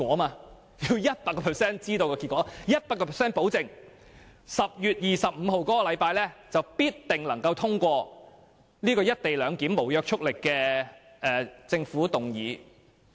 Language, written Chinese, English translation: Cantonese, 她要 100% 知道結果 ，100% 保證能夠在10月25日的立法會會議上通過有關"一地兩檢"的無約束力政府議案。, She wants to be 100 % sure about the result . She wants to get 100 % guarantee that the non - binding Government motion on the co - location arrangement will be passed at the Council meeting of 25 October